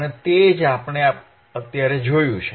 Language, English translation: Gujarati, And that is what we have seen right now